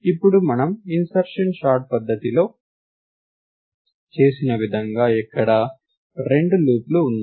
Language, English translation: Telugu, So, now what we do again like in insertion sort; there are two loops